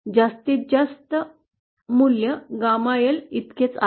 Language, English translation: Marathi, The maximum value that is reached is equal to Gamma L